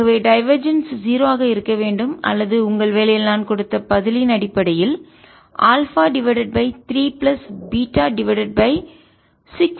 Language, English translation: Tamil, so the relationship is this: if the divergence has to be zero or in terms of the answer which i have given in your assignment, is alpha over three plus beta over six, minus gamma over two is equal to zero